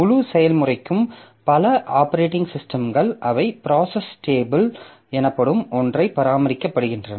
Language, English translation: Tamil, So, for the entire process, many operating systems they maintain something called a process stable